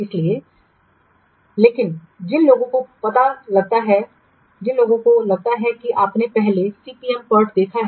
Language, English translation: Hindi, So, but those who have I think you have already seen CPM port earlier